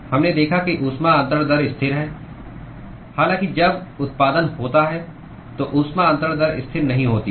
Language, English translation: Hindi, We saw that the heat transfer rate is constant; however, when there is generation, heat transfer rate is not constant